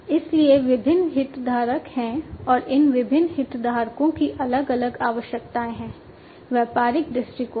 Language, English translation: Hindi, So, there are different stakeholders, right and these different stakeholders have different requirements, from a business perspective